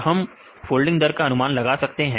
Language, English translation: Hindi, We can predict this folding rates